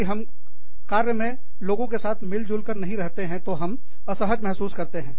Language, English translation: Hindi, If we do not get along, with people at work, we feel uncomfortable